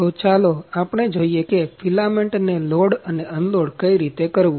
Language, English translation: Gujarati, So, let us see how to load and unload the filament